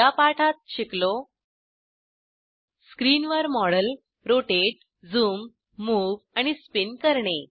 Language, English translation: Marathi, In this tutorial,we have learnt to Rotate, zoom, move and spin the model on screen